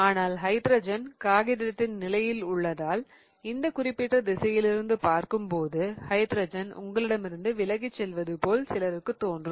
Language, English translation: Tamil, But hydrogen is in the plane of the paper and it might be easier for some people to look in this direction such that the hydrogen is going away from you